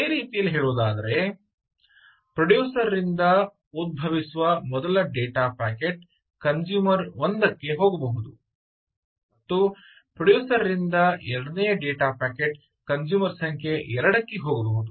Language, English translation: Kannada, in other words, the first data packet that arise from a producer can go to consumer one and the second data packet from producer can go to consumer number two